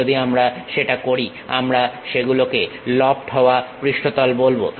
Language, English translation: Bengali, If we are doing that we call that as lofted surfaces